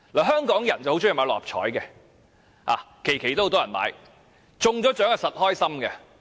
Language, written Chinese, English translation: Cantonese, 香港人很喜歡投注六合彩，每期都有很多人投注，中獎當然開心。, Hong Kong people really like betting on Mark Six . Many people bet on every draw of the Mark Six and those who win are certainly thrilled